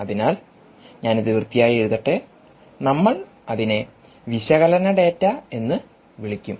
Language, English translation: Malayalam, so let me write it clean: ah, we will call it analysis data